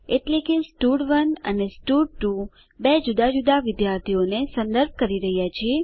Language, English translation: Gujarati, That is, stud1 and stud2 are referring to two different students